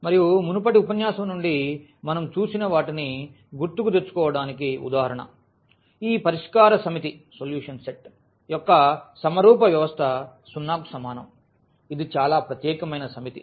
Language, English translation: Telugu, And, just to recall from the previous lecture what we have seen for instance this solution set of the homogeneous system of equations Ax is equal to 0, that is a very special set